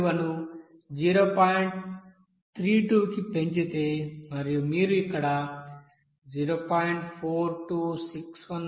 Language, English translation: Telugu, 32 suppose if you assume here 0